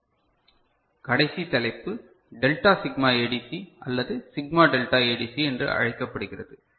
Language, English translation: Tamil, The last topic on ADC, we shall discuss, is called delta sigma ADC or sigma delta ADC